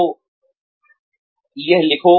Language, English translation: Hindi, So, write this down